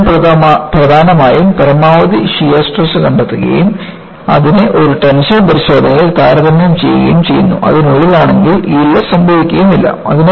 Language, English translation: Malayalam, So, I essentially, find out the maximum shear stress and I compare it, in a tension test and if it is within that, yielding will not occur